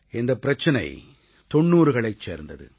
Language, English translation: Tamil, This problem pertains to the 90s